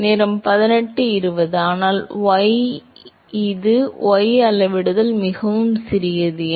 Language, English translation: Tamil, But y it is y scaling is very small right